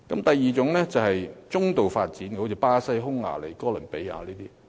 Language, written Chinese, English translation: Cantonese, 第二個層次是中度發展國家，例如巴西、匈牙利和哥倫比亞。, The second level is semi - developed countries such as Brazil Hungary and Columbia